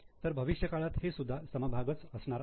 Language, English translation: Marathi, They are also going to be shares in future